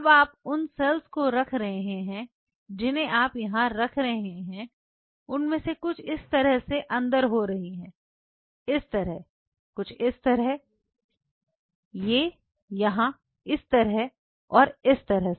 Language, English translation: Hindi, Now you are having those cells which you are placing here some of them will be getting inside like this, like this, like this, like this, like this, like this, this, like this, this like this